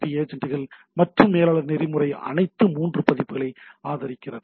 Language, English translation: Tamil, So many SNMP agents and managers supports all 3 versions of the protocol